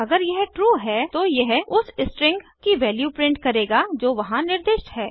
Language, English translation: Hindi, If it is true, it will print out the string that is specified there